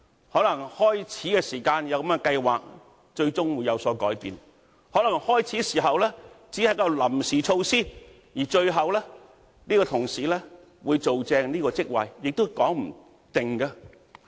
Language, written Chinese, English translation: Cantonese, 可能開始時有這樣的計劃，最終會有所改變；可能開始時只是一種臨時措施，而最後相關同事會擔任這個職位也說不定。, Perhaps there was a plan at the beginning but it ended up differently . Perhaps it was a tentative arrangement and one could not say for sure that if the relevant person who undertook the acting appointment could take up the post eventually